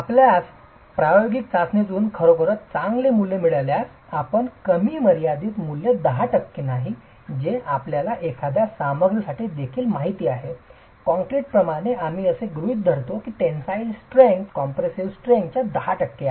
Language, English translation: Marathi, If you have actually got values coming out of your experimental test well and good if you don't a low bound value is 10% which as you are aware even for a material like concrete we assume that the tensile strength is about 10% of the compressive strength